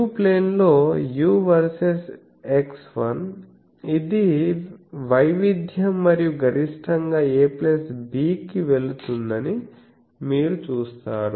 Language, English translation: Telugu, You see that in the u plane u versus x, this is the variance and maximum it goes to a plus b